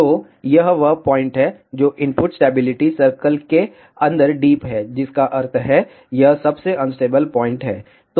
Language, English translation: Hindi, So, this is the point, which is deep inside the input stability circle that means, this is the most unstable point